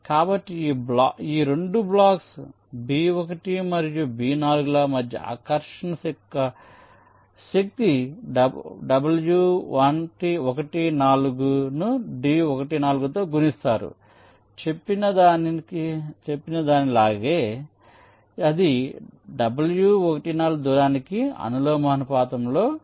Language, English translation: Telugu, so the force of attraction between these two blocks, b one and b four, will be w one four multiplied by d one four, just exactly like hookes law, whatever it says, it will be proportional to the distance